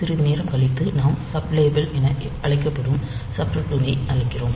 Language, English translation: Tamil, So, after some time we are calling a subroutine called sublabel